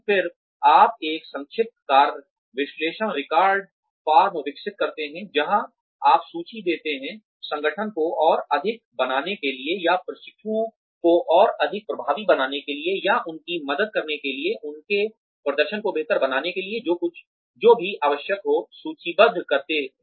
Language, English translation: Hindi, Then, you develop an abbreviated task analysis record form, where you list, whatever needs to be done, in order to make the organization more, or in order to, make the trainees more effective, or to help them, improve their performance